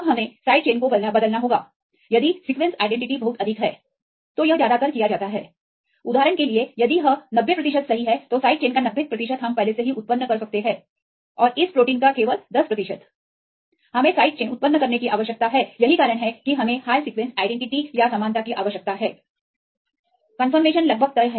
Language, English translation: Hindi, Now we have to change the side chains right if the sequence identity is very high, then it is mostly done; for example, if it is 90 percent right the 90 percent of this chain side chain we can already generated and only a 10 percent of this protein, we need to generate side chain this is the reason why we require the high sequence identity or similarity in this case almost the conformations almost fixed